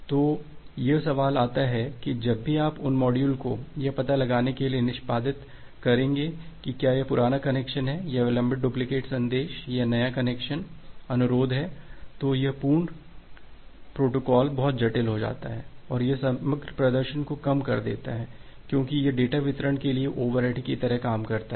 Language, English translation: Hindi, So, the question comes that whenever you will execute those modules for finding out whether that is a old connection of or a delayed duplicate message or a new connection request, this entire protocol things become complicated and it reduces the overall performance because this works like a over head for the data delivery